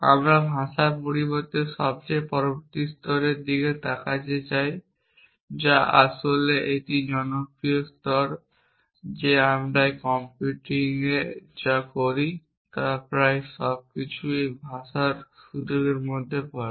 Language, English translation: Bengali, But we are not going to that accent we want to look at the next most the next level of language which is in fact, such popular level that almost everything that we do in computing falls within the scope of this language